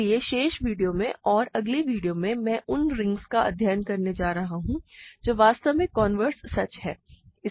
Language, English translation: Hindi, So, in the remaining video and in the next video or so, we are going to study rings where actually the converse is true